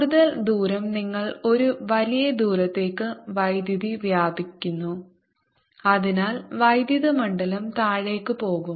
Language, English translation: Malayalam, further away you go, the power splits over a larger area and therefore electric field is going to go down